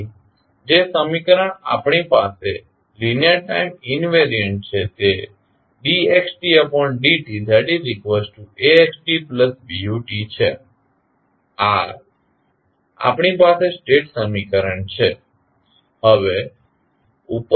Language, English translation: Gujarati, So, the equation which we have linear time invariant that is dx by dt is equal to Ax plus Bu this is the state equation we have